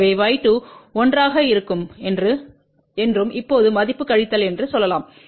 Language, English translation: Tamil, So, we can say that y 2 will be 1 and now the value will be minus